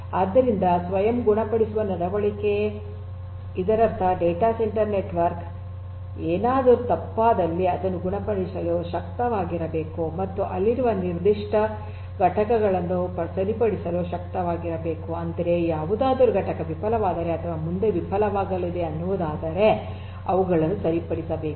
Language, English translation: Kannada, So, self healing behaviour; that means, that the data centre network if anything goes wrong should be able to heal on it is own should be able to repair the particular component that is there I mean whatever has failed or is going to fail should be repaired on it is own that is basically the self healing property of a data centre network